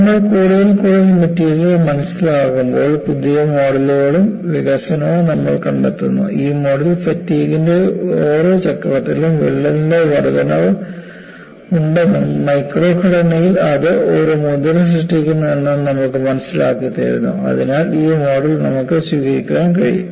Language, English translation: Malayalam, See, as we understand the material more and more, you also find, development of newer models; and this model, really gives you an appreciation that in every cycle of fatigue, there is incremental advancement of crack, and there is also an impression created in the micro structure; so this model, you can accept it